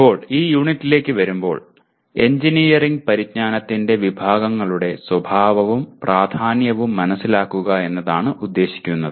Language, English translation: Malayalam, Now, coming to this unit, the outcome is understand the nature and importance of categories of engineering knowledge